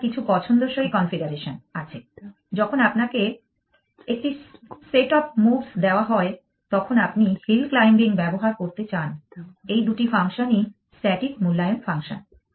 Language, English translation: Bengali, You have some desired configuration when you are given a set of moves you want to use hill climbing both these functions are static evaluation functions